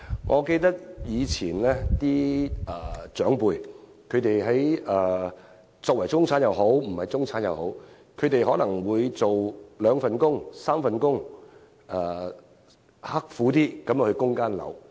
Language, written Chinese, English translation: Cantonese, 我記得，以前的長輩不論是否中產人士，他們可能有兩三份工作，刻苦生活，只為供樓。, As I can recall the people in the past regardless of being in the middle class or not might take two or three jobs and they led a frugal life simply for supporting a flat